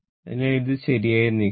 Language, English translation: Malayalam, So, it is moving like this right